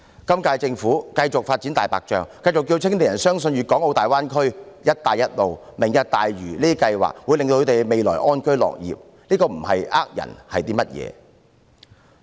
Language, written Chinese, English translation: Cantonese, 今屆政府繼續發展"大白象"，繼續叫青年人相信粵港澳大灣區、"一帶一路"和"明日大嶼願景"計劃會讓他們安居樂業，如果這不是騙人，又是甚麼？, The current - term Government continues to develop white elephants and tell young people to believe that the Greater Bay Area the Belt and Road Initiative and the Lantau Tomorrow Vision will enable them to live in peace and work with contentment . If this is not deception what is it?